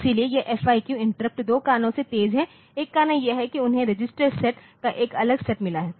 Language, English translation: Hindi, So, the this FIQ interrupt is faster because of two reasons one reason is that we have got we have seen that they have got a separate set of registers the separate register set